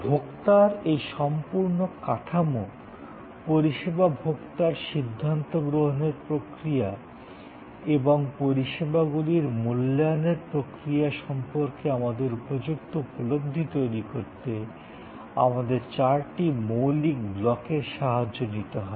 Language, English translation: Bengali, To create our understanding of this whole structure of consumer, service consumer decision making and the process of evaluation of services, so fundamentally we have four blocks